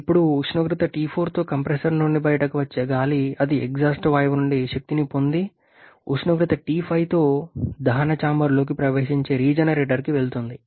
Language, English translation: Telugu, Now the air which is coming out of the compressor with temperature T4 that goes to the regenerator where it gains energy from the exhaust gas and enters a combustion chamber temperature T5